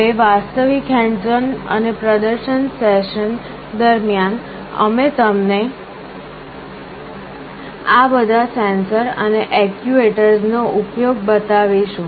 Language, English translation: Gujarati, Now during the actual hands on and demonstration sessions, we shall be showing you all these sensors and actuators in use